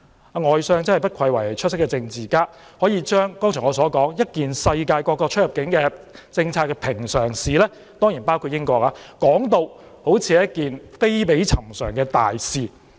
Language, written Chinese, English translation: Cantonese, 外相不愧為出色政治家，可以把我剛才指出一件世界各國——當然包括英國——出入境政策的平常事，說成好像是一件非比尋常的大事。, The Foreign Secretary is indeed an excellent politician in that he has treated an ordinary issue relating to the immigration policy of various countries―certainly including the United Kingdom―I mentioned just now as an extraordinary and major issue